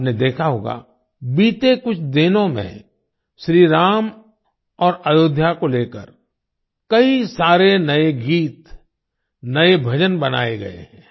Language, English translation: Hindi, You must have noticed that during the last few days, many new songs and new bhajans have been composed on Shri Ram and Ayodhya